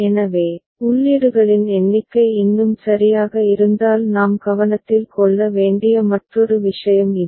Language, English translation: Tamil, So, this is another thing that we take note of if the numbers of inputs are more ok